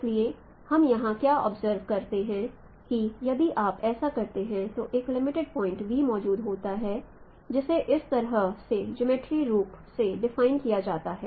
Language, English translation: Hindi, So what we can observe here that if we go on doing this, finally there exists a limiting point V which is defined geometrical in this way